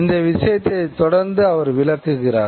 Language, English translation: Tamil, This is the point that he is going to explain further